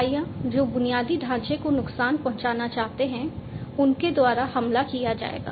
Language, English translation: Hindi, Attacks will be performed by entities, which want to harm, which want to make some harm to the infrastructure